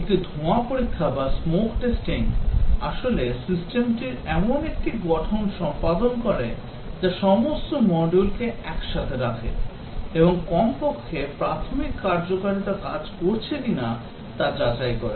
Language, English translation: Bengali, A smoke testing is actually performing a build of the system that is putting all the modules together and checking whether at least the basic functionalities are working